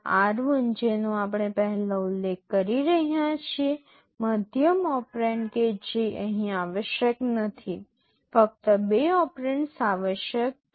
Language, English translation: Gujarati, This r1 which we are mentioning earlier, the middle operand that is not required here, only two operands are required